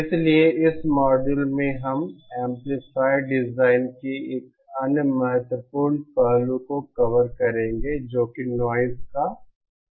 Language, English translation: Hindi, So in this module we will be covering another important aspect of amplifier design which is the noise aspect